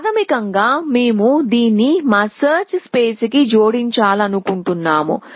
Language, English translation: Telugu, Basically we want to add it to our search space